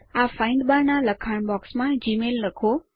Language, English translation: Gujarati, In the text box of the Find bar, type gmail